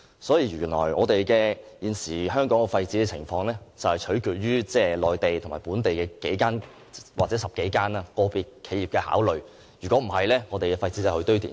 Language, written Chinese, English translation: Cantonese, 所以，原來現時香港的廢紙回收情況是取決於內地和本地的10多間個別企業的考慮，否則香港的廢紙便運往堆填區。, So in fact waste paper recycling in Hong Kong relies on the Mainland and the commercial considerations of a dozen of individual enterprises or else all waste paper in Hong Kong will be sent to the landfills